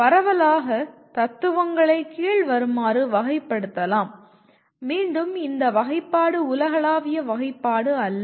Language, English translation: Tamil, Broadly, the philosophies can be classified under, again this classification is not the universal classification